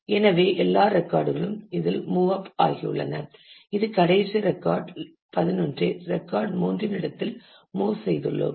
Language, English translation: Tamil, So, all records have moved up in this it is we have move the last record 11 in the place of record 3